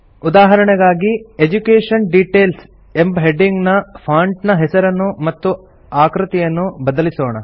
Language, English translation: Kannada, For example, let us give the heading, Education Details a different font style and font size